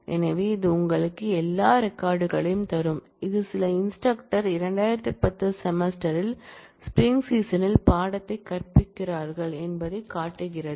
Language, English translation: Tamil, So, this will give you all records, which show that some instructor is teaching the course in spring 2010 semester